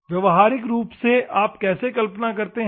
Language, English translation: Hindi, In practically, how do you visualize